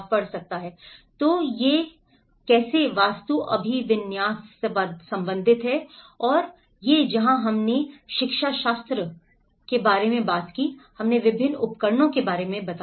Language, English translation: Hindi, So, this and how it is related to architectural orientation and that is where we talked about the pedagogy and in the pedagogy, we did explain about various tools